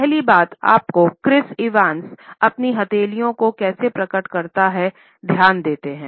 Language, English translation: Hindi, First thing I want you to do with Chris Evans here is pay attention to how he reveals his palms